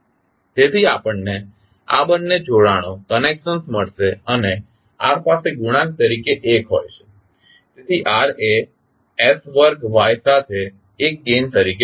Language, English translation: Gujarati, So, we get these two connections and r is having 1 as coefficient so r is connected to s square y with 1 as the gain